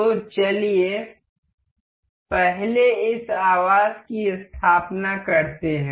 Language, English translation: Hindi, So, let us just set up this housing first